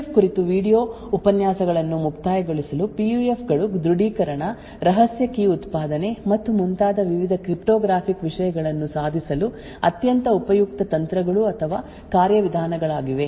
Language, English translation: Kannada, To conclude the video lectures on PUF, PUFs are extremely useful techniques or mechanisms to achieve various cryptographic things like authentication, secret key generation and so on